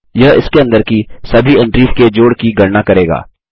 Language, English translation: Hindi, This will calculate the total of all the entries under it